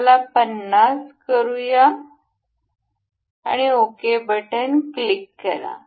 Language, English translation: Marathi, Let us make it 50 and we will click ok